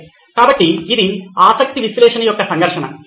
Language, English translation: Telugu, Okay, so that was conflict of interest analysis